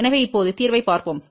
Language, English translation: Tamil, So now, let us look at the solution